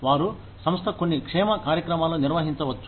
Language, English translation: Telugu, They can institute, some wellness programs